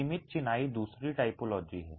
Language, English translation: Hindi, Confined masonry is the other typology